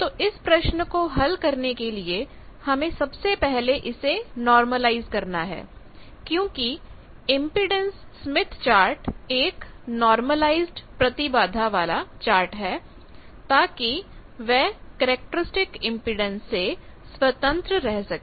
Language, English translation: Hindi, So the first thing that you need to do to solve this problem is you normalize because this impedance smith chart is normalized impedance so that it is independent of characteristic impedance